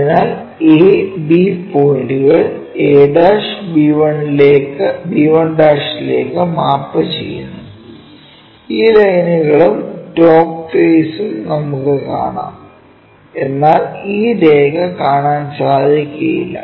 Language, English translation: Malayalam, So, a point b points maps to this a 1' b 1' and we will see that line and again top face we will see that, but this line we cannot really see